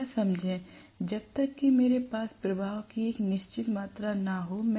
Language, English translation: Hindi, Please understand, unless I have a certain amount of flux